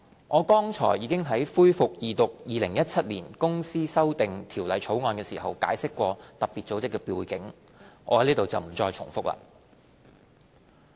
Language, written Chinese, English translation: Cantonese, 我剛才已於恢復二讀《2017年公司條例草案》時解釋過特別組織的背景，在此不再重複。, I have just explained the background of FATF during the resumption of the Second Reading of the Companies Amendment Bill 2017 . I am not going to repeat it here